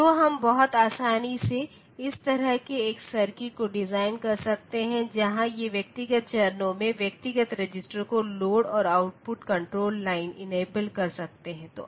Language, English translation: Hindi, So, we can very easily design such a circuit where these individual stages individual registers they can have loaded and output enable control lines